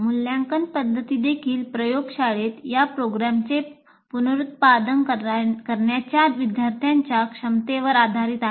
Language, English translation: Marathi, And the assessment methods are also based on students' ability to reproduce these programs in the lab